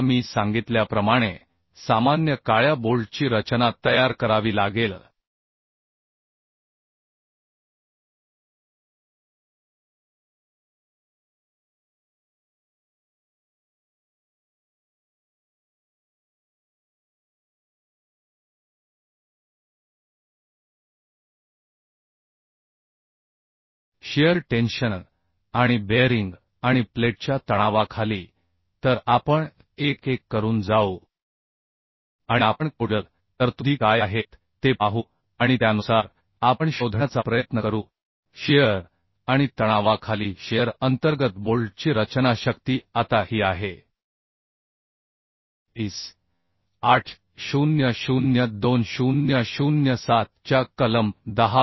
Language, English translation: Marathi, 3 of IS: 800 now as I told that design of ordinary black bolts has to be designed under shear tension and bearing and tension of the plate So we will go through one by one and we will see what are the codal provisions made and accordingly we will try to find out the design strength of the bolt under shear under bearing and under tension Now this is available in clause 10